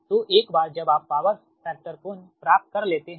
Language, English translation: Hindi, so this is that your power factor angle